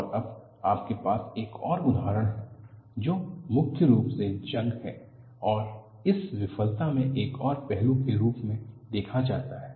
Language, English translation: Hindi, And now, you have another example, which is predominantly corrosion and also, another aspect is seen in this failure